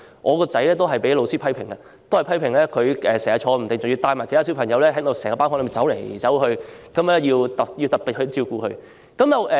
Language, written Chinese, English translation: Cantonese, 我的兒子也被老師批評坐不住，經常帶領其他小朋友在班房內走來走去，需要老師特別照顧。, The teacher commented that my son could not sit still . He often led other students to walk round the classroom and required special attention from the teacher